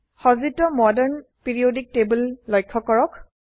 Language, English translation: Assamese, Observe the built in Modern periodic table